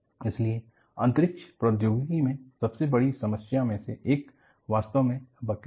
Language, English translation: Hindi, So, one of the greatest problem in Space Technology is actually buckling